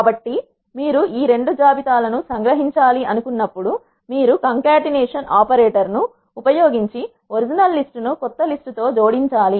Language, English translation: Telugu, So, when you want to concatenate these two lists you have to use this concatenation operator, the original list and then the new list